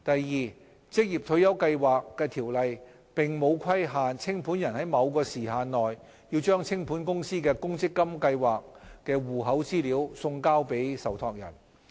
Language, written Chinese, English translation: Cantonese, 二《條例》並沒有規限清盤人在某時限內把清盤公司的公積金計劃戶口資料送交受託人。, 2 The Ordinance does not require a liquidator to send account information of an insolvent companys provident fund schemes to a trustee within a prescribed period . Under the Companies Ordinance Cap